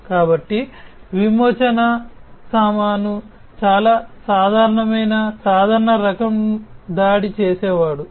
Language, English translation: Telugu, So, ransom ware is a very common, common type of attacker, a common type of attack